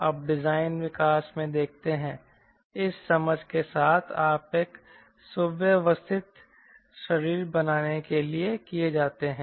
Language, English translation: Hindi, so what we do, you see, in design evolution with this understanding, attempt to are made to make a streamlined body